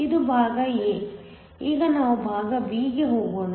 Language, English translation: Kannada, So, This is part a, now let us go to part b